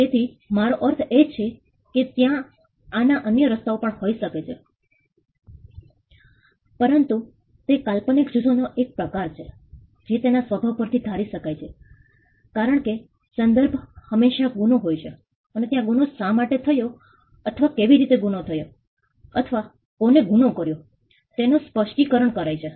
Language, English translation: Gujarati, So, I mean there could be other ways of this, but it is this genre this group of fiction is predictable by it is nature because, the setting is always a crime and there is an explanation of why the crime happened or how the crime happened or who did the crime